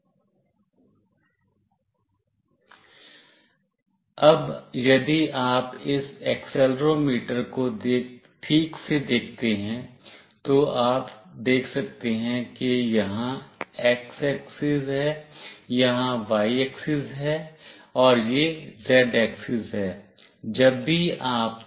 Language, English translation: Hindi, Now, if you see this accelerometer properly, you can see there is x axis here, here is the y axis, and this is the z axis